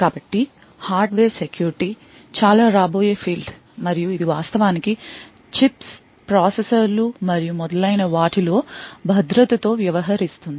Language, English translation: Telugu, So, Hardware Security is quite an upcoming field and it actually deals with security in chips, processors and so on